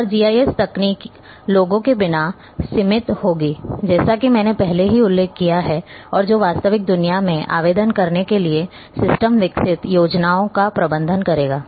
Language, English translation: Hindi, And GIS technology will be limited as I have already mentioned without the people and who will manage the system develop plans for applying into the real worlds